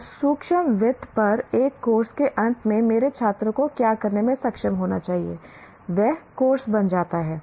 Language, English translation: Hindi, And at the end of a course on microfinance, what should my student be able to do